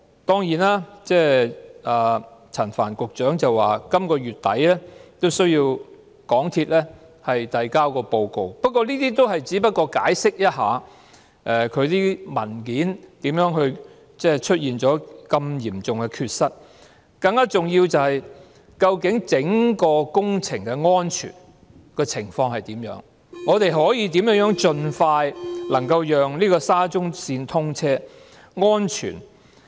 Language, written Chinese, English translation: Cantonese, 當然，陳帆局長說港鐵公司須在本月底提交報告，不過，這也只不過是解釋其文件為何出現了如此嚴重的缺失吧了，更重要的是，究竟整個工程的安全情況如何、我們可以如何盡快讓沙中線安全通車？, Of course Secretary Frank CHAN has said that MTRCL must submit a report by the end of this month which is only to account for the serious blunder of incomplete documentation . More importantly how is the safety of the project as a whole and how can we enable the safe commissioning of SCL as soon as possible?